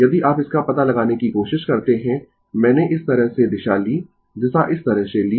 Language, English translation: Hindi, If you try to find out this, I the direction is taken in this way direction is taken in this way